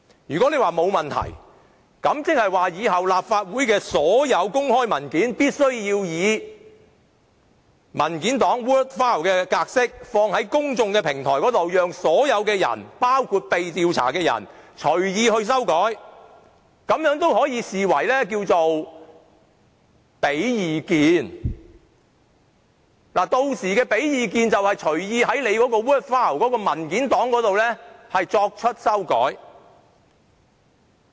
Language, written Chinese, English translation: Cantonese, 如果大家都說沒有問題，即是說以後立法會的所有公開文件，均須以文件檔 word file 的格式上載於公眾平台，讓所有人包括被調查者隨意修改，並會視此為提供意見，而屆時提供意見便等於隨意在文件檔上作出修改。, If Members insist that there is nothing wrong with this incident it would imply that in the future all public documents of the Legislative Council would be uploaded to an open platform in the format of word files such that everyone including the subject of inquiry can make amendments as so wishes and such amendments would be deemed as an expression of views . By that time an expression of view is tantamount to making amendments to the word files at will